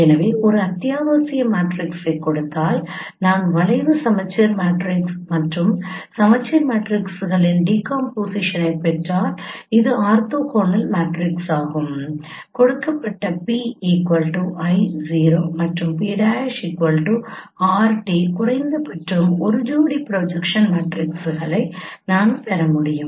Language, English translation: Tamil, So given an essential matrix if I get a decomposition of given an essential matrix if I get a decomposition of skew symmetric matrix and rotation matrix which is an orthonormal matrix, then I should be able to get at least a pairs of projection matrices given p equal to i is 0 and p prime is r and t